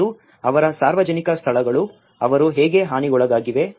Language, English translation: Kannada, And their public places, how they were damaged